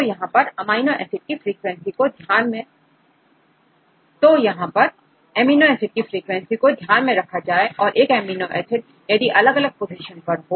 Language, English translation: Hindi, So, here this will consider the frequency of amino acids a same amino acid at the different positions